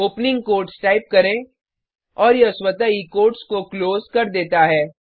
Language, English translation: Hindi, Type opening quotes and it automatically closes the quotes